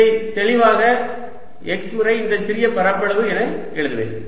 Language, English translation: Tamil, i'll write x clearly times this small area